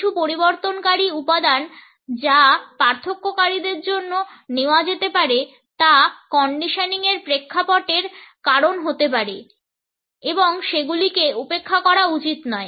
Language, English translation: Bengali, Some modifying factors that might be taken for differentiators are may be caused by the conditioning background and they should not be overlooked